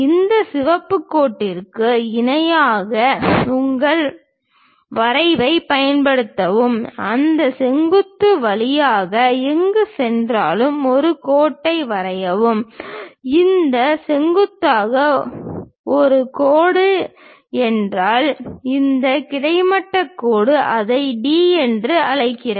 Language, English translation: Tamil, Then use your drafter parallel to this red line, draw one more line passing through that point C wherever this perpendicular A line means this horizontal line call it D